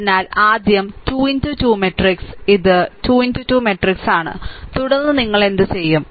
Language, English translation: Malayalam, So, first thing is your 3 into 3 matrix, this is your 3 into 3 matrix, and then what you do